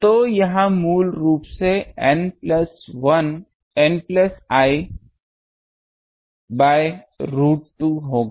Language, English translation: Hindi, So, it will be N plus I by root 2